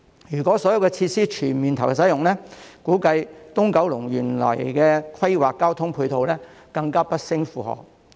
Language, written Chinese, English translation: Cantonese, 如果所有設施全面投入使用，估計九龍東原來規劃的交通配套將會更不勝負荷。, If all these facilities come into full operation it is estimated that the ancillary transport facilities originally planned for Kowloon East will be even more overloaded